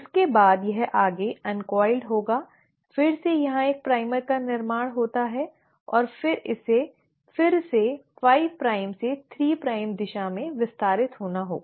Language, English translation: Hindi, Then this uncoiled further, again there was a primer formed here and then it again had to extend it in a 5 prime to 3 prime direction